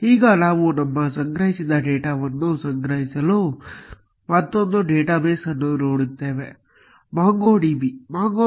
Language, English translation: Kannada, Now, we will look at another database for storing our collected data, MongoDB